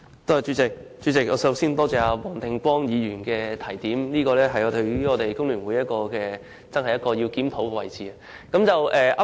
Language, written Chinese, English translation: Cantonese, 主席，我首先感謝黃定光議員的提點，這真的是工聯會需要檢討的地方。, Chairman first of all I would like to thank Mr WONG Ting - kwong for his advice as that is the area where a review should be conducted by The Hong Kong Federation of Trade Unions FTU